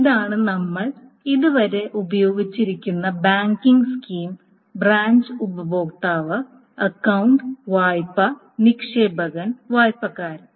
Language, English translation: Malayalam, So this is the banking schema that we have been using so far, the branch, customer, account, loan, deposited and borrower